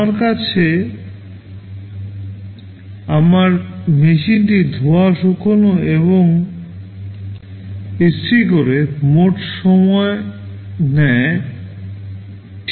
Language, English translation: Bengali, I have my machine that does washing, drying and ironing, the total time taken is T